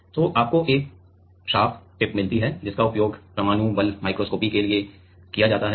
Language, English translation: Hindi, So, you get a sharp tip which is used for atomic force microscopy